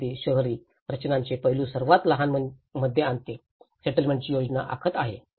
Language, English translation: Marathi, This brings even the urban design aspects into a smallest, planning a settlement